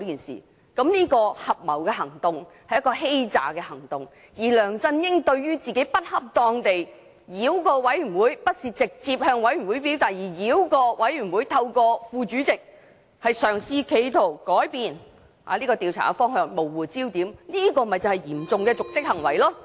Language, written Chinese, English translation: Cantonese, 這合謀行動是欺詐行動，而梁振英不恰當地繞過專責委員會，不是直接向專責委員會表達意見，而是透過副主席繞過專責委員會作出修訂，企圖改變調查的方向，模糊焦點，這便是嚴重的瀆職行為。, The act of conspiracy is an act of deception . LEUNG Chun - ying had improperly circumvented the Select Committee . He did not express his views directly to the Select Committee; instead he circumvented the Select Committee and made amendments through the Deputy Chairman in an attempt to change the direction of inquiry blur the focus of the inquiry